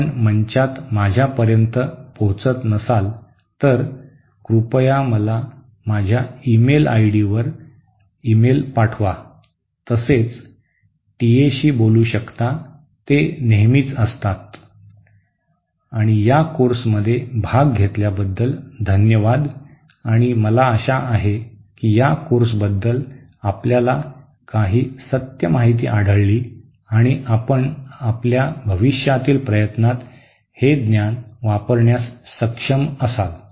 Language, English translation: Marathi, In case you do not reach me in the forum, please send me an email to my email ID, also you can talk with TAs, there are alwaysÉ And thank you for participating in this course and I hope you found some truthful information on this course and you will be able to use this knowledge in your future endeavor